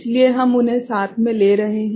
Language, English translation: Hindi, So, we are taking them together